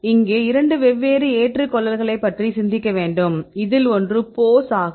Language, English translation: Tamil, Here we have to think about two different accepts one is the pose right